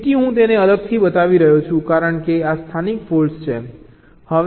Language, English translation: Gujarati, so i am showing it separately because these are the local faults